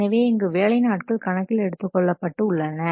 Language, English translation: Tamil, So, here the work days is taken into account